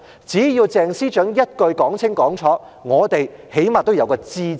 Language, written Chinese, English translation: Cantonese, 只要鄭司長一句說清楚，我們最少得個"知"字。, As long as Secretary CHENG makes things clear we will at least be informed